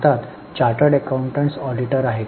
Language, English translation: Marathi, In India, charter accountants are the auditors